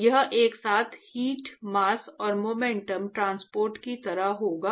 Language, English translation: Hindi, So, it will be like a simultaneous heat, mass and momentum transport